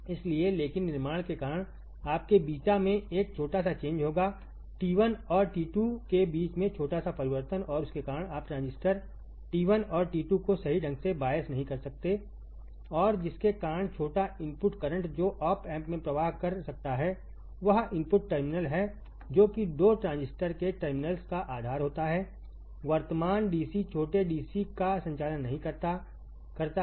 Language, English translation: Hindi, So, but because of the manufacturing there will be a small change in your beta the small change in beta between T 1 and T 2 and due to that you cannot bias the transistor T 1 and 2 correctly and because of which there is a small input current that can flow into the op amp does the input terminals which are base of the terminals of the 2 transistors do not current small DC do not conduct small DC current